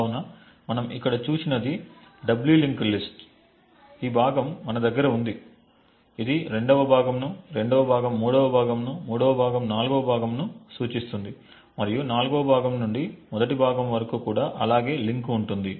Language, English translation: Telugu, So what we have seen over here is a doubly linked list we have this chunk which is pointing to the second chunk, the second chunk points to the third chunk, third chunk points the four chunk and the other way also